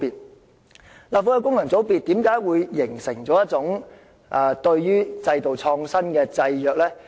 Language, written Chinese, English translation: Cantonese, 為何立法會的功能界別會形成對制度創新的制約？, Why did functional constituencies of the Legislative Council become an obstacle to the updating of systems?